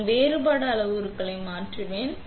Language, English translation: Tamil, I will change the difference parameters